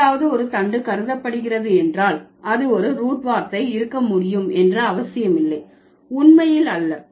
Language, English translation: Tamil, It is not necessary that if something is considered to be a stem can also be a root word, not really